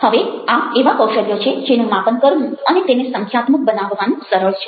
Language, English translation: Gujarati, now, these are skills which are easy to measure and quantify